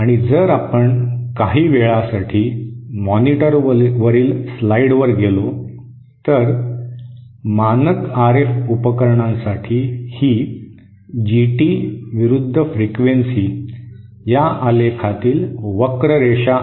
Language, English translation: Marathi, And if we go to the slides on the monitor for a moment, this is the typical GT vs frequency curve for a standard RF device